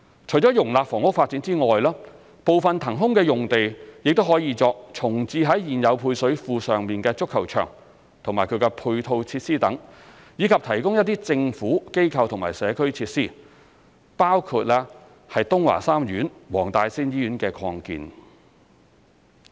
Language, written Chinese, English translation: Cantonese, 除了容納房屋發展外，部分騰空的用地亦可作重置在現有配水庫上的足球場及其配套設施等，以及提供一些"政府、機構或社區"設施，包括東華三院黃大仙醫院的擴建。, In addition to the housing development part of the released site could be used for reprovisioning the football pitch and its ancillary facilities at the existing site of the service reservoirs and providing some GIC facilities including the expansion of WTSH